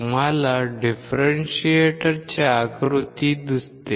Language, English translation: Marathi, You see the figure of an differentiator